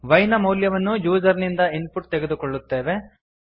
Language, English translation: Kannada, we take the value of y as input from the user